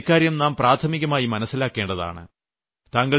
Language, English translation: Malayalam, That's why we have to be very aware about that